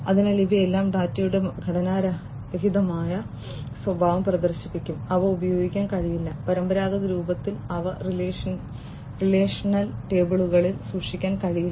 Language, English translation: Malayalam, So, all of these will exhibit non structured behavior of data and they cannot be used, they cannot be stored in relational tables in the traditional form, right